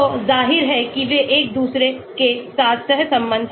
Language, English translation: Hindi, so obviously they are correlated with each other